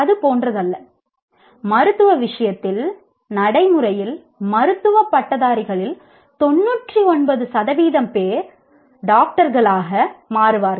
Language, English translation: Tamil, It is not like, let's say in the case of medicine, practically maybe 99% of the graduates of medicine will become doctors